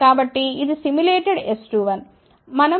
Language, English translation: Telugu, So, this is the S 2 1 simulated